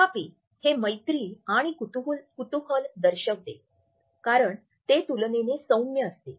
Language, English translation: Marathi, However, it shows interest friendliness and curiosity because it is relatively mild